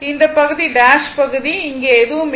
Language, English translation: Tamil, So, this portion dash portion nothing is there here right